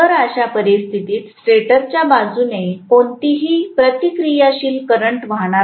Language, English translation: Marathi, So in which case there will not be any reactive current on the stator side from the stator side